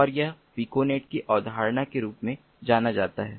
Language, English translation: Hindi, we have to understand how piconets work